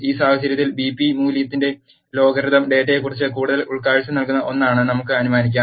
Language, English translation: Malayalam, In this case, let us assume logarithm of BP value is something which is giving us more insight about the data